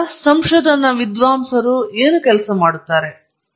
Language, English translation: Kannada, Then what do research scholars work on